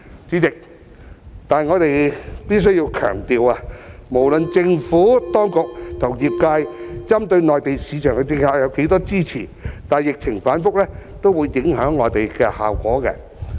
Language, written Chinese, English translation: Cantonese, 然而，代理主席，我們必須強調，無論政府當局和業界針對內地市場的政策得到多少支持，疫情反覆也會影響效果。, But Deputy President we must stress that regardless of the intensity of the support for the initiatives rolled out by the Administration and the industry with the specific target of the Mainland market their effectiveness may nonetheless be affected by fluctuations in the epidemic